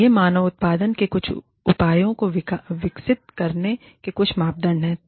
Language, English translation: Hindi, And, these are some of the criteria for developing, some measures of human output